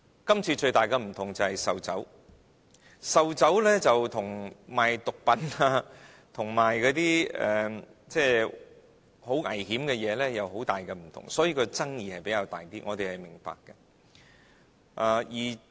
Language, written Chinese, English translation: Cantonese, 今次最大的不同便是售酒，售酒跟賣毒品、危險品有極大分別，所以爭議性也比較大，這點我們是明白的。, The biggest difference this time around is the sale of liquor . There is a big difference between the sale of liquor and drugs . Therefore the controversy is enormous and we understand that